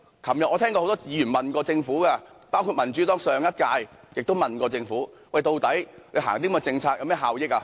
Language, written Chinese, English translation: Cantonese, 昨天我聽到很多議員詢問政府，包括民主黨在上屆議會亦問過政府，推行這些政策究竟有何效益？, Yesterday I heard a number of Honourable colleagues ask the Government about the benefits of introducing such policies a question also asked by the Democratic Party in the last term of the Legislative Council